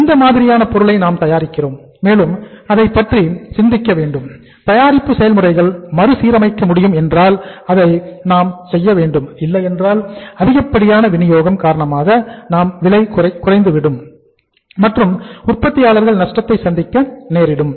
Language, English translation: Tamil, What kind of the product we are manufacturing and we will have to think about that if we can readjust the manufacturing process we should do like that otherwise the prices of the means because of the increased supply prices will fall down and the manufacturers have to suffer the loss